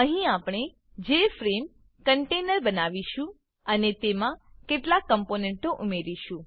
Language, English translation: Gujarati, Here, we will create the JFrame container and add a few components to it